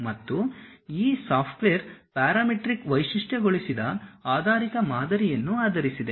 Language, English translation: Kannada, And this software is basically based on parametric featured based model